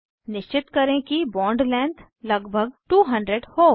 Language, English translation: Hindi, Ensure that bond length is around 200